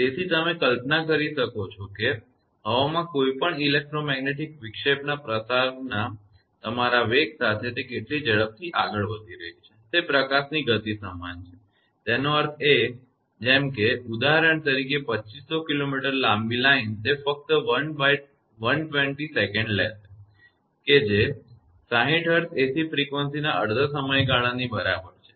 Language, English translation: Gujarati, So, you can imagine how fast it is moving with your velocity of propagation of any electromagnetic disturbance in air is equal to the speed of the light; that means, if for example, a line 2500 kilometre long it will take just 1 upon 120 second right, which is equal to the half period of the 60 hertz ac frequency right